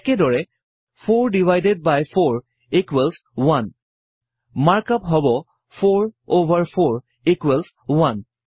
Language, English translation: Assamese, Similarly to write 4 divided by 4 equals 1, the mark up is#160: 4 over 4 equals 1